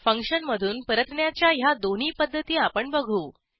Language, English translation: Marathi, Let us learn these 2 ways to return within a function